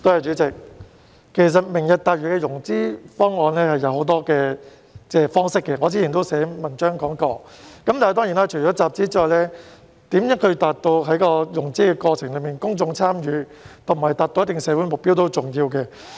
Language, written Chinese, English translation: Cantonese, 主席，"明日大嶼"的融資方案有很多方式，我之前也曾經寫文章談論過，而除了集資外，如何達到在融資過程中有公眾參與及達到一定的社會目標也是重要的。, President there are many financing options for Lantau Tomorrow and I have written an article discussing them before . Fund - raising aside it is also important to have public involvement and achieve certain social objectives in the course of financing